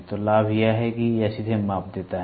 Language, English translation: Hindi, So, the advantage is it directly gives the measurement